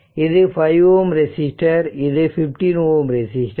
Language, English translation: Tamil, So, 5 ohm resistor is there, 0